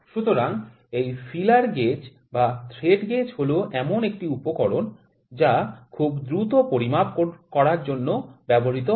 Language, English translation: Bengali, So, this feeler gauge or the thread gauge this small gauge is which is a there instrument which are used for very quick measurement